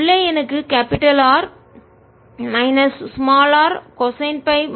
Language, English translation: Tamil, inside i get r minus r, cosine of phi minus phi prime in the z direction